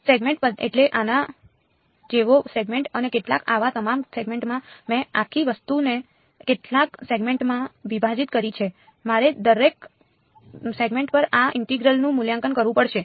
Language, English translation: Gujarati, A segment means a segment like this and some over all such segments I have broken up the whole thing into several segments, I have to evaluate this integral over each segment